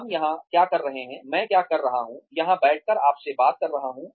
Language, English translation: Hindi, What are we doing sitting here, what am I doing, sitting here, talking to you